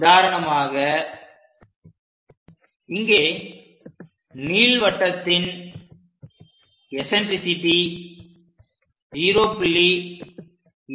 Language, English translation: Tamil, For example, here an ellipse has an eccentricity 0